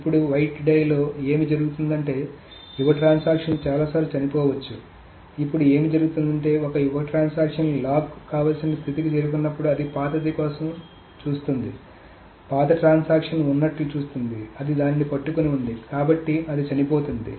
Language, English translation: Telugu, Now, what does it happen is that when a young transaction reaches to a point where it wants a lock, it looks for an old, it sees that there is an old transaction that is holding to it, so it dies